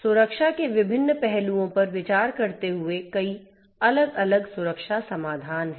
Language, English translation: Hindi, There are so many different security solutions considering different different aspects of security and so on